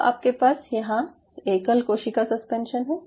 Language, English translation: Hindi, it made a single cell suspension